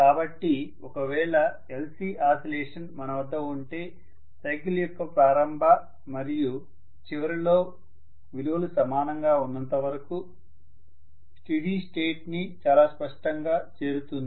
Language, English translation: Telugu, So if I have an LC oscillation I would say reach steady state very clearly, as long as in the beginning of the cycle and end of cycle the values are the same